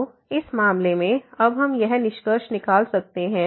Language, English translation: Hindi, So, in this case now we can conclude this